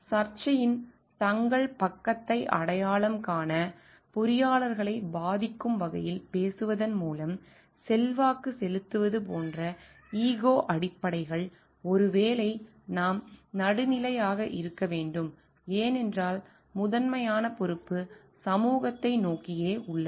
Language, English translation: Tamil, So, ego baises like influencing by talking influencing engineers to identify their own side of the dispute; which is maybe we should be neutral, because the primary responsibility is towards the society at large